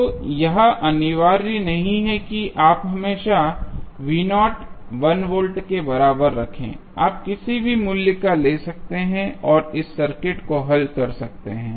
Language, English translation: Hindi, So, it is not mandatory that you always keep V is equal to 1 volt you can take any value and solve this circuit